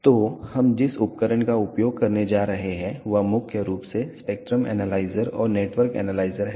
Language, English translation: Hindi, So, the instrument that we are going to use are mainly the spectrum analyzer and the network analyzer